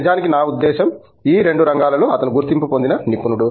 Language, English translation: Telugu, In fact, I mean he is recognized expert in both these area